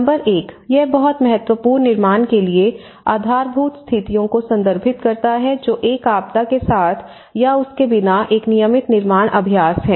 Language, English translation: Hindi, Number one, back to building better; it refers to the baseline conditions that is a regular building practice with or without a disaster